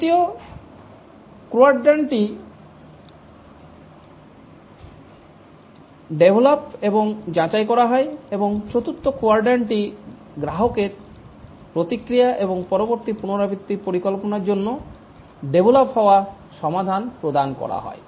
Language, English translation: Bengali, The third quadrant is developed and validate and the fourth quadrant is give the developed solution to the customer for feedback and plan for the next iteration